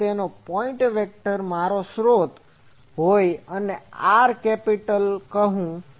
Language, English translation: Gujarati, So, my source to the observation point vector, let me call capital R